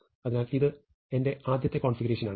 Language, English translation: Malayalam, So, this is my initial configuration